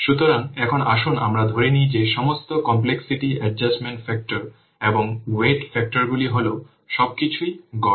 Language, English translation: Bengali, So, now let's assume that all the complexity adjustment factors and weighting factors they are average